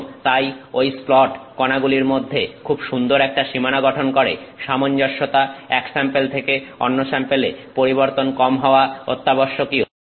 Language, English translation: Bengali, And so, that splat that forms a very nice boundary between the particles, uniformity sample to sample variation should be minimal